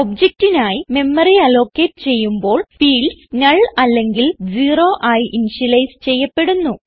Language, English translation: Malayalam, After the memory is allocated for the object the fields are initialized to null or zero